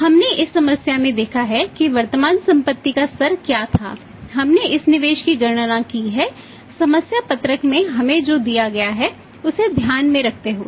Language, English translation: Hindi, Which was there in the; we have seen in this problem that what was the level of current assets that we have calculated this investment is by say which is given to us in the in the problems sheet